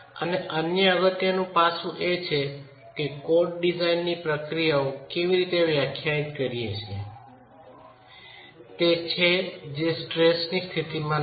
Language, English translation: Gujarati, The other important aspect is if you look at the way codes define design procedures, it is not at the state of stresses that we work